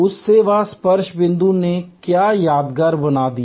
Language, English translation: Hindi, What made that service touch point memorable